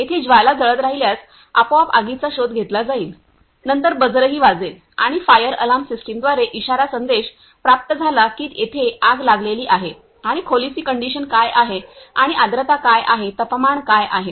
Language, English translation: Marathi, Here we if burn flame then automatically detect the fire, then also buzzer sounded and also get a alert message through a fire alarm system the here is a fire break out and what is the condition of the room and humidity what is temperature